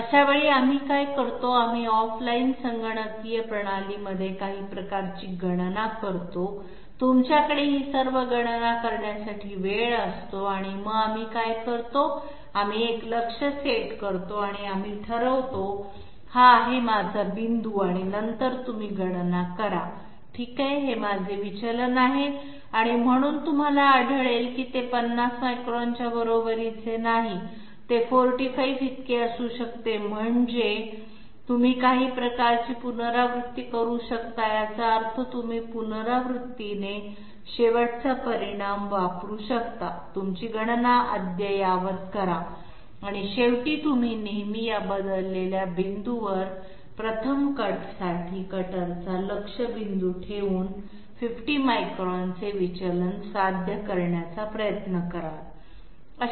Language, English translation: Marathi, So in that case what we do is, we do some sort of calculation in off line computing system, you have all the time to do all these calculations and what we do is, we set up a target and we decide okay, this is my point and then you make a calculation okay this is my deviation and therefore, you find that it is not equal to 50 may be it is equal to 45, so you can do some sort of iteration that means repetitively you can use the results of last calculation, update your calculations that way okay and ultimately you will always try to achieve a deviation of 50 microns by placing the target point of the cutter for this 1st cut at some change point